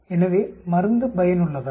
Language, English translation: Tamil, So is the drug effective